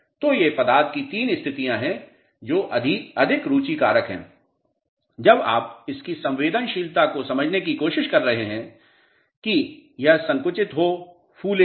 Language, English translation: Hindi, So, these are three states of the material which are more of interest when you are trying to understand its susceptibility to shrink not swell